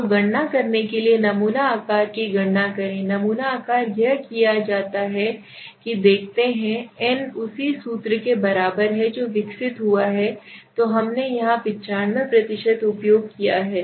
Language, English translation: Hindi, So basically we are no interested in the sample size t calculate the sample size so to calculate sample size what it is done is it you see n is equal to the same formula which have developed here right so we have used here is 95%